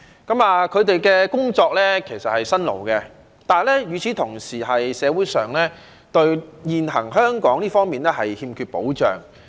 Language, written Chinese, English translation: Cantonese, 他們的工作其實是辛勞的，但與此同時，現時香港社會上，對這些工作者欠缺保障。, Their work is actually marked by hard toil but at the same time such workers are lack of any protection in Hong Kong society at present